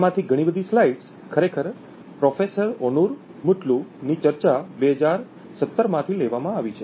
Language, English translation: Gujarati, A lot of these slides are actually borrowed from Professor Onur Mutlu’s talk in 2017